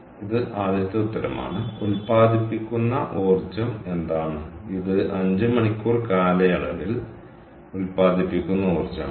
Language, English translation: Malayalam, that is easy, because this is the energy that is produced times over a period of five hours